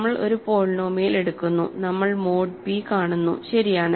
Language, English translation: Malayalam, We take a polynomial and we just view this mod p, right